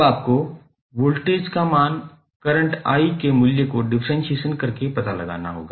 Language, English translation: Hindi, Now, voltage value you will have to find out by simply differentiating the value of current i